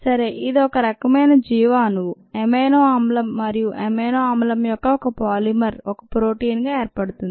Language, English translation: Telugu, so it is one kind of a bio molecule, um amino acid, and a polymer of amino acid is a protein